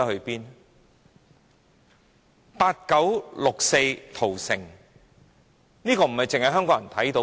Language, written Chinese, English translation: Cantonese, 八九六四屠城，並非只有香港人看到。, The massacre on 4 June 1989 was not only witnessed by Hong Kong people